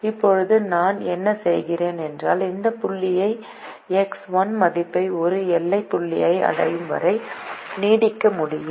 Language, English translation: Tamil, now what i do is i can simply extend this point, increase the x one value upto it reaches a boundary point